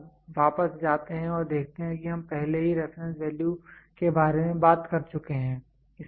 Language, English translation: Hindi, If you go back and see we have already talked about reference value